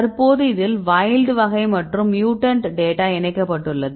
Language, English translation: Tamil, So, currently it is including the wild type as well as the mutant data fine right